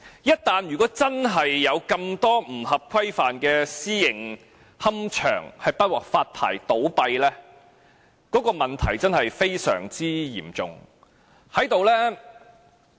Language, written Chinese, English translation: Cantonese, 一旦真的有這麼多不合規範的私營龕場不獲發牌而倒閉，問題確實非常嚴重。, If so many non - compliant private columbaria cannot be licensed and cease operation the problem will be really serious